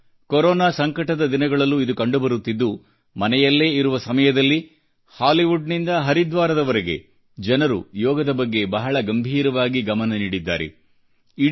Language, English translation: Kannada, During the present Corona pandemic it is being observed from Hollywood to Haridwar that, while staying at home, people are paying serious attention to 'Yoga'